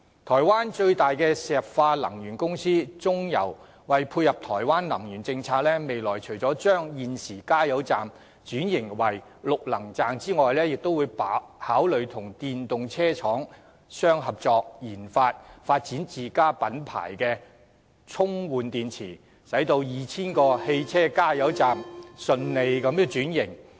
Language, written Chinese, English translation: Cantonese, 台灣最大石化能源公司台灣中油為配合台灣的能源政策，未來除了會將現時的加油站轉型為綠能站，亦會考慮與電動車廠商合作研發自家品牌充換電池，讓 2,000 個汽車加油站能順利轉型。, In order to tie in with the energy policy implemented in Taiwan the biggest fossil fuel company in Taiwan CPC Corporation will convert existing fuelling stations to green energy stations . In addition it will also consider joining hands with manufacturers of EVs to conduct researches on and develop its own brand of rechargeable batteries so as to facilitate a smooth transition of its 2 000 vehicle fuelling stations